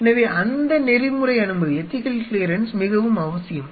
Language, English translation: Tamil, So, that ethical clearance is very essential